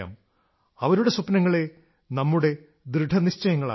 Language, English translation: Malayalam, Their dreams should be our motivation